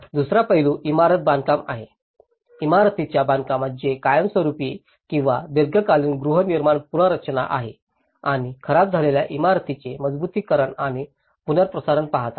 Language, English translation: Marathi, The second aspect is the building construction; in the building construction which looks at the permanent or the long term housing reconstruction and the strengthening and retrofitting of the damaged buildings